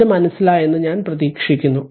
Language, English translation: Malayalam, So, I hope you have understood this right